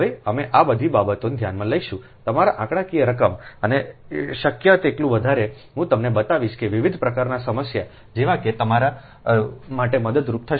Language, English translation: Gujarati, now we will consider all this thing you are what you call that, your numericals and ah, as many as possible i will show you ah, such that different type of problem, ah, such that it will be helpful for you